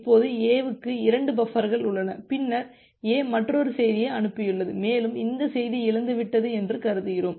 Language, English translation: Tamil, Now A has 2 buffers left, then A has sent another message and assume that this message has lost